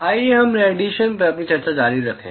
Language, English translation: Hindi, Let us continue with our discussion on radiation